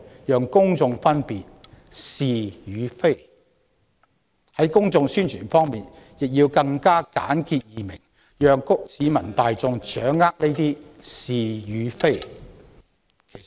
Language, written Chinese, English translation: Cantonese, 有關的公眾宣傳亦應簡潔易明，方便市民大眾掌握。, The relevant publicity and promotion should also be simple and easy to understand for the sake of public understanding